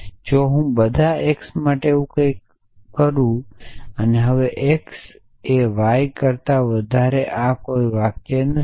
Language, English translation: Gujarati, So, if I say something like this for all x; x greater than y now this is not a sentence